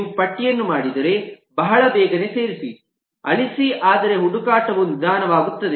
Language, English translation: Kannada, if you do a list, insert delete is very quick but the search gets very slow